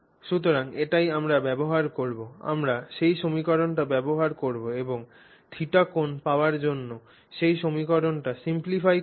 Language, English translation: Bengali, We will use that equation and simplify that equation to arrive at the angle theta